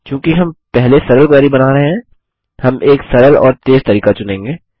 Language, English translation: Hindi, Since we are creating a simple query first, we will choose an easy and fast method